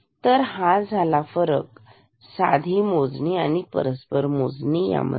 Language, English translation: Marathi, So, this is the difference between normal counting and in reciprocal counting